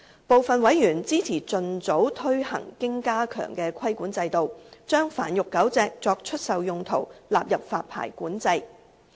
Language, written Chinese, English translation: Cantonese, 部分委員支持盡早推行經加強的規管制度，將繁育狗隻作出售用途納入發牌管制。, Some members support the expeditious implementation of the enhanced regulatory regime so as to put the sale and keeping for breeding and sale of dogs under strengthened control